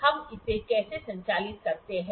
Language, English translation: Hindi, How do we operate this one